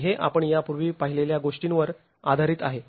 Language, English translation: Marathi, And this is based on what we have looked at earlier